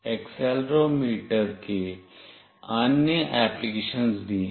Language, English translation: Hindi, There are other applications of accelerometer as well